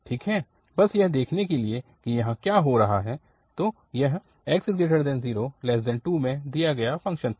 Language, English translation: Hindi, Well, just to see that what is happening here, so this was the function given in 0 to 2, so in 0 to 2